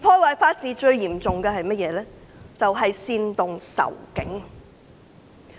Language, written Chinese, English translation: Cantonese, 對法治造成最嚴重破壞的是煽動仇警。, Inciting anti - police sentiments will most seriously undermine the rule of law